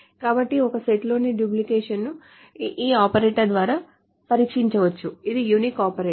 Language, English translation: Telugu, So, duplication in a set can be tested by this operator called unique